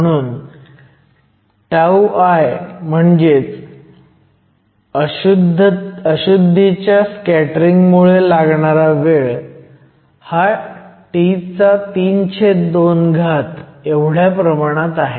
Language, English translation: Marathi, So, tau I which is the time due to scattering because of impurities is proportional to T to the three half